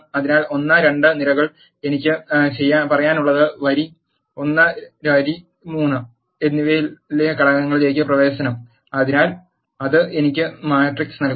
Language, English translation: Malayalam, So, I have to say in the columns 1 and 2 access the elements which are in the row 1 and row 3, that brings me the matrix